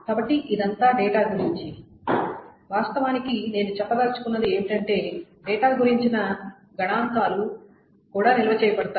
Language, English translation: Telugu, So of course what I mean to say is that statistics about the data is also maintained